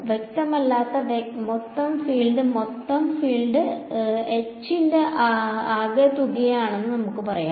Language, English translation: Malayalam, The total field that is not clear we can say that the total field H is the sum of H naught plus Hs